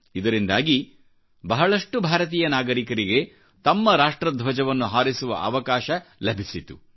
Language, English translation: Kannada, This provided a chance to more and more of our countrymen to unfurl our national flag